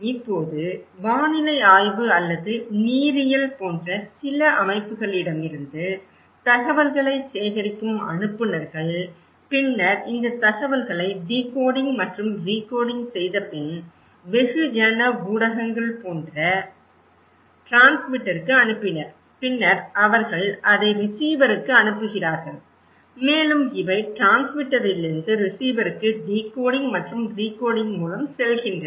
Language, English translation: Tamil, Now senders collecting informations from some organizations like meteorology or hydrology and then they passed these informations to the transmitter like mass media after decoding and recoding and then they send it to the receiver and also these goes from transmitter to the receiver through decoding and recoding